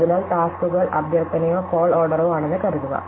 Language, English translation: Malayalam, So, let us assume that or tasks or requests or call order is like this